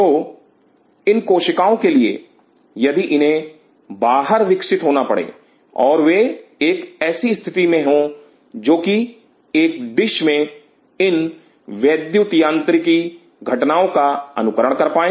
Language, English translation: Hindi, So, for these cells if they have to grow outside, and they should be in a position which should be able to mimic these electromechanical events in a dish